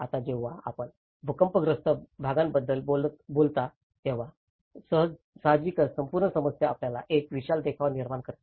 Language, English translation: Marathi, Now, when you talk about an earthquake affected area, obviously, the whole trouble creates you know, a massive scene